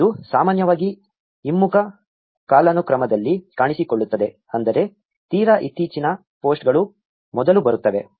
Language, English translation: Kannada, This usually appears in reverse chronological order; meaning most recent posts come first